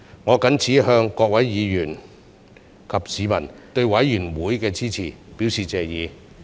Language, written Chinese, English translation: Cantonese, 我謹此向各位議員及市民對委員會的支持，表示謝意。, I appreciate the support of Members of this Council and members of the public for the work of the Committee